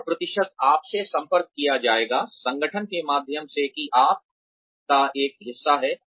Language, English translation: Hindi, And, the percentages will be communicated to you, through the organization, that you are a part of